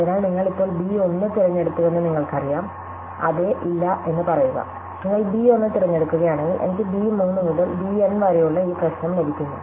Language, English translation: Malayalam, So, you now have that you have choose b 1, say yes, no; if you choose b 1 I get this problem which is b 3 to b N